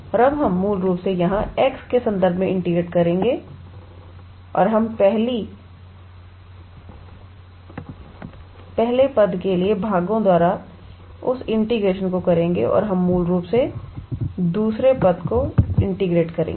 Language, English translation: Hindi, And now, we will basically integrate with respect to x here and we will do that by doing that integration by parts for the first term and we will basically integrate the second term